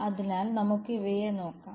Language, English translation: Malayalam, So, let us look at these